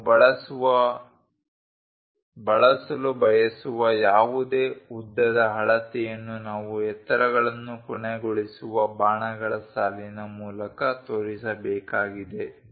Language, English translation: Kannada, Any length scale which we would like to use we have to show it by line with arrows terminating heights